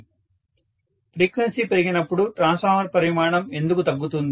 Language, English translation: Telugu, When the frequency increases why would the size of the transformer decrease